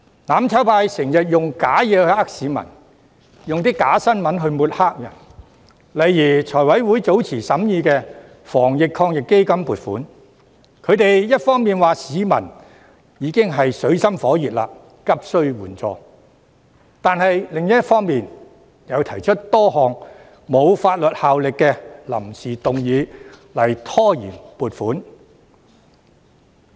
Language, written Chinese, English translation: Cantonese, "攬炒派"經常用虛假的事情欺騙市民，又用假新聞抹黑別人，例如財務委員會早前審議防疫抗疫基金撥款時，他們一方面指市民已經處於水深火熱，急須援助，但另一方面卻提出多項沒有法律效力的臨時議案拖延撥款。, The mutual destruction camp always uses fake information to cheat members of the public and uses fake news to sling mud on other people . For example some time ago when the Finance Committee considered the funding proposal of the Anti - epidemic Fund the mutual destruction camp had on the one hand pointed out that people were living in dire straits and were desperately in need of support but on the other hand they put forward a number of motions without notice that have no legislative effect to delay the allocation of funds